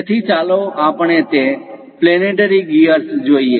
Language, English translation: Gujarati, So, here let us look at that planetary gear